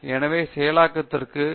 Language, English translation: Tamil, And so these are again examples where processing